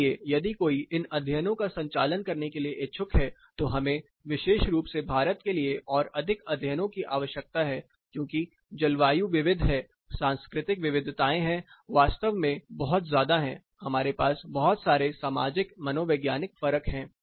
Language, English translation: Hindi, So, if one is interested to conduct these studies we need a lot of more studies for India specifically because, the climate is diverse cultural variations are really huge we have lot of socio psychological differences